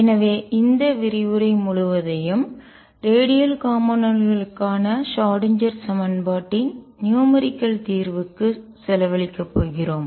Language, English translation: Tamil, So, this lecture is going to be devour it to numerical solution of the Schrödinger equation for the radial component of psi